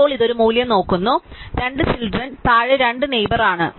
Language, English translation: Malayalam, Now, this is just looking up one value and are two neighbors below to two children